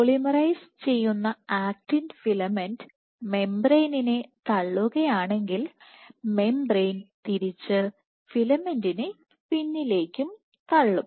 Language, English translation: Malayalam, So, if the actin filament the polymerizing acting filament pushes the membrane, the membrane will push the filament back